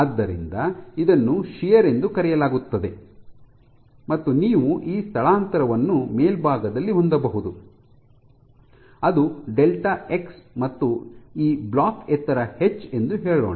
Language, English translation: Kannada, So, this is called is called as shear and you can have again this displacement at the top which is delta x and let us say this block is of height h